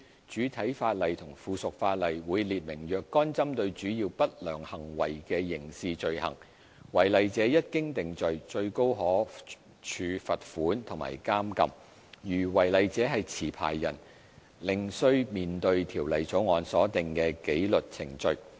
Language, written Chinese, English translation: Cantonese, 主體法例和附屬法例會列明若干針對主要不良行為的刑事罪行，違例者一經定罪，最高可處罰款和監禁；如違例者是持牌人，另須面對《條例草案》所訂的紀律程序。, Certain criminal offences targeted at major unscrupulous acts will be set out in the primary and subsidiary legislation . Offenders on conviction will be liable to a maximum penalty of a fine and imprisonment and those who are licensees will be additionally subject to the disciplinary proceedings stipulated in the Bill